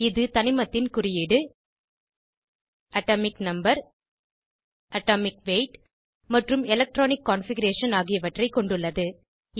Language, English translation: Tamil, * It has Symbol of the element, * Atomic number, * Atomic weight and * Electronic configuration